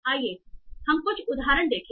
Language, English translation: Hindi, So let's see some example